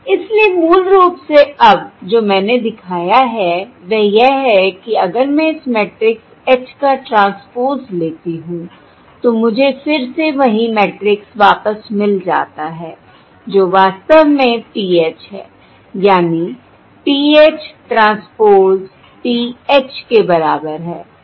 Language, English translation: Hindi, okay, So basically now what Iíve shown is, if I take the transpose of this matrix H, I again get back the same matrix, which is, in fact, PH